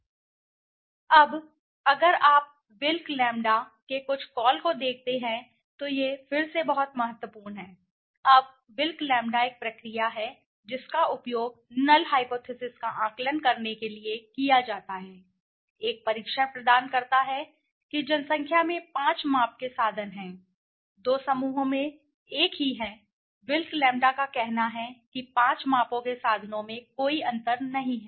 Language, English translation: Hindi, Now, next is if you look at the something call Wilk s Lambda now this is very important again now Wilk s lambda is a process is used is the test provides a test for assessing the null hypothesis that in the population the means of the 5 measurements are the same in the two groups what is it say wilk s lambda says that there is no difference between the means of the 5 measurements right